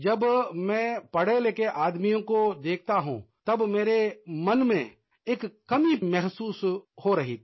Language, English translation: Hindi, When I see educated people, I feel something amiss in me